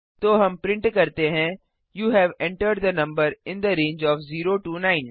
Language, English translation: Hindi, Then we print you have entered the number in the range of 0 9